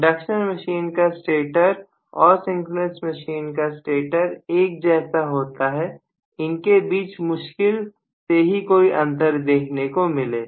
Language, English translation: Hindi, The induction machine stator and the synchronous machine stator are one and the same there is hardly any difference between the two, right